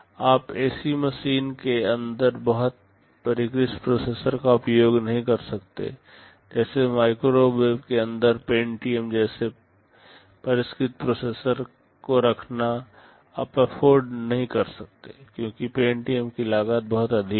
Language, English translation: Hindi, You cannot afford to use a very sophisticated processor inside such a machine; like inside a microwave you cannot afford to put a sophisticated processor like the Pentium, because the cost of the Pentium itself is pretty high